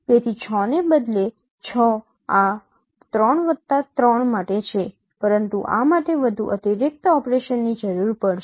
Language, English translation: Gujarati, So instead of six, six is for this three plus three but this will require another additional operation